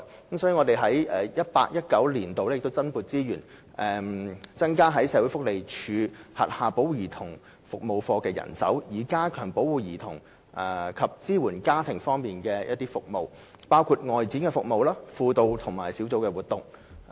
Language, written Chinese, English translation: Cantonese, 所以，我們在 2018-2019 年度增撥資源，增加社會福利署轄下保護家庭及兒童服務課的人手，以加強保護兒童及支援家庭方面的服務，包括外展服務、輔導及小組活動。, Therefore we have allocated additional resources in 2018 - 2019 for increasing the manpower of the Family and Child Protective Services Units under the Social Welfare Department SWD so as to enhance children protection and family support services including outreaching services counselling and group activities